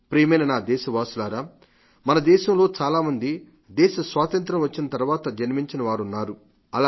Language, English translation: Telugu, My dear countrymen there are many among us who were born after independence